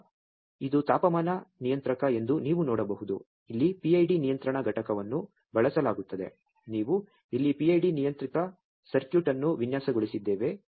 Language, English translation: Kannada, And then you can see this is a temperature controller, here PID control unit is used, we have designed a PID controlled circuit here